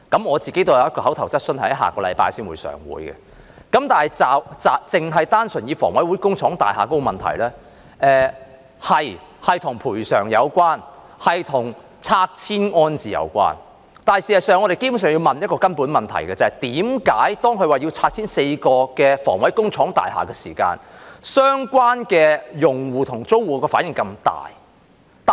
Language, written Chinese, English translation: Cantonese, 我也有一項口頭質詢在下星期立法會會議提出，但單純以房委會工廠大廈的問題為例，這的確是與賠償及拆遷安置有關，但事實上，我們基本上要問一個根本的問題，即為何當它表示要拆遷4幢房委會工廠大廈時，相關用戶和租戶的反應這麼大。, I also have an oral question scheduled for the Legislative Council meeting next week but let me just take the issue of HA factory estates as an example . This is indeed related to compensation demolition and resettlement but in fact we basically have to ask a fundamental question that is why the relevant users and tenants reacted so strongly when the Government said it would demolish four HA factory estates